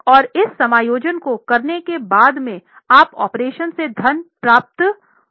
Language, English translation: Hindi, And after making this adjustment you used to get fund from operations